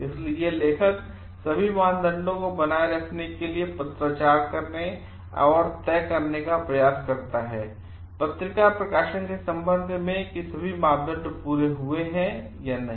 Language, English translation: Hindi, So, these author tries to correspond to and fixed to maintain like all the criteria with respect to the journal publication has been met or not